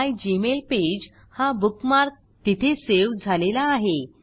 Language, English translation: Marathi, The mygmailpage bookmark is saved there